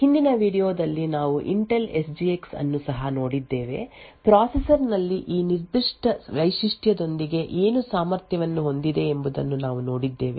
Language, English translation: Kannada, In the previous video we had also looked at the Intel SGX we have seen what was capable with this particular feature in the processor